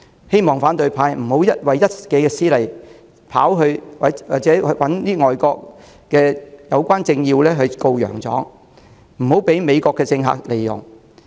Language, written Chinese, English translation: Cantonese, 還望反對派不要為一己私利，跑到海外找相關政要"告洋狀"，以免被美國政客利用。, It can only be hoped that the opposition will refrain from the self - serving act of going overseas and lodging complaints with the relevant political dignitaries lest they play into the hands of American politicos